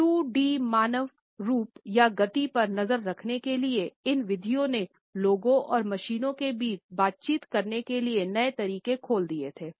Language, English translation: Hindi, These methods for tracking 2D human form or motion open up new ways for people and machines to interact